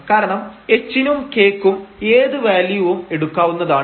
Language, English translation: Malayalam, So, this is a neighborhood because h and k can take any value